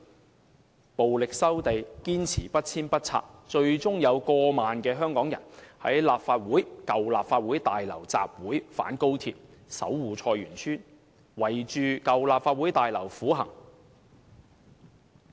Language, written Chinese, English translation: Cantonese, 即使被人以暴力收地，他們仍堅持不遷不拆，最終過萬名香港人在舊立法會大樓外參加反高鐵、守護菜園村的集會，圍繞舊立法會大樓苦行。, Despite forcible land resumption they still adamantly fought for neither removal and nor demolition . Their resistance culminated in a 10 thousand - strong mass rally against XRL construction and the razing of Choi Yuen Tsuen outside the then Legislative Council Building and some participants even staged a prostrating walk around the building